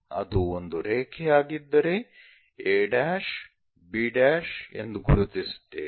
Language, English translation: Kannada, If it is a line a’, b’ we will note it